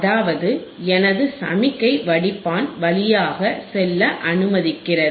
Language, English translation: Tamil, That means, again my signal is allowed to pass through the filter,